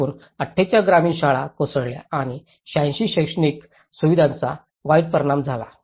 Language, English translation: Marathi, In total 48 rural schools collapsed and 86 educational facilities were badly affected